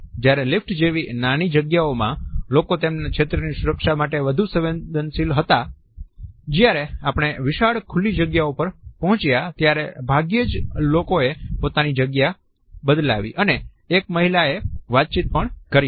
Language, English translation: Gujarati, When confined to small spaces like in the elevator people were more prone to protect their territory, while those we approached in wide open spaces like at this park rarely moved at all and this woman even struck up a conversation